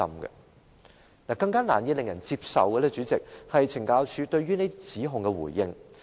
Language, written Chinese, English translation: Cantonese, 主席，令人更難以接受的，就是懲教署對指控作出的回應。, President what is even more hardly acceptable is CSDs reply to their allegations